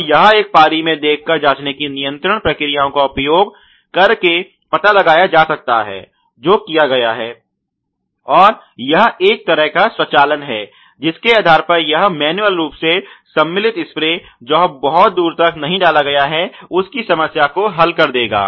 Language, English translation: Hindi, And it can be detected using the processes control of a visual check of one per shift that has been done and it is one kind of a automation ok based on which this would solve the problem of manually inserted spray head not inserted far enough